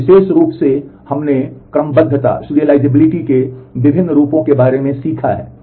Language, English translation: Hindi, And very specifically we have learnt about different forms of serializability